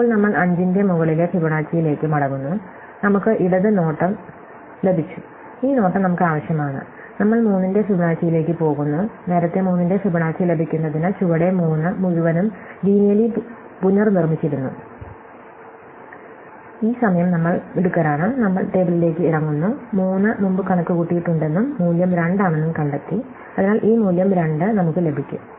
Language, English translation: Malayalam, now, we come back to the top Fibonacci of 5, we have got the left branch, we need the right branch, we go to Fibonacci of 3, earlier we had blindly reproduces the entire tree at the bottom in order to get Fibonacci of 3, but this time we are smarter, we go down the table and we find that 3 has been computed before and the value is 2, so we get this value of 2